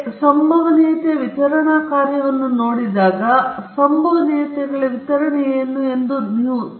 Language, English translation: Kannada, Now, whenever you have a probability distribution function you can imagine that there is a distribution of the probabilities